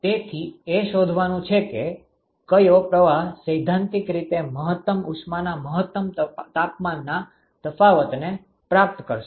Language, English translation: Gujarati, So, the exercise is to find out which stream is going to theoretically achieve the maximal heat maximal temperature difference